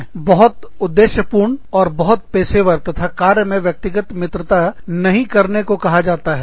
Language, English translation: Hindi, We are told to be, very objective, and very professional, and not make personal friendship, at work